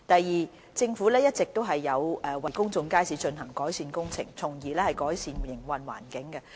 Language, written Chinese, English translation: Cantonese, 二政府一直都有為公眾街市進行改善工程，從而改善營運環境。, 2 The Government has been implementing various improvement works in public markets to improve the operating environment